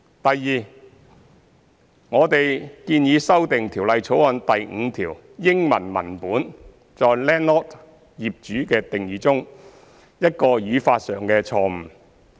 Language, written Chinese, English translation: Cantonese, 第二，我們建議修訂《條例草案》第5條英文文本中在 landlord 的定義中一個語法上的錯誤。, Secondly we have proposed to amend a grammatical error in the definition of landlord in the English text of clause 5 of the Bill